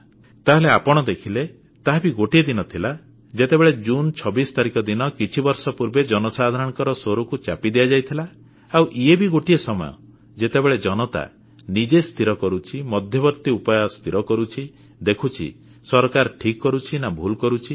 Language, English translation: Odia, So you have seen that while on 26th June some years ago the voice of the people was stifled, now is the time, when the people make their decisions, they judge whether the government is doing the right thing or not, is performing well or poorly